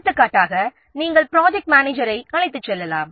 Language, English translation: Tamil, For example, you can take the project manager